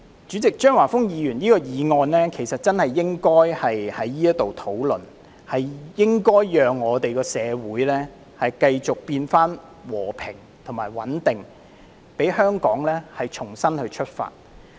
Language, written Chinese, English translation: Cantonese, 主席，張華峰議員的議案真的應該在現時進行討論，從而讓社會回復和平與穩定，使香港可以重新出發。, President it is indeed opportune now to conduct a debate on Mr Christopher CHEUNGs motion so that peace and stability can be restored in society and Hong Kong can make a fresh start